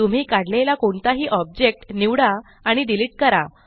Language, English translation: Marathi, Select any object you have drawn and delete it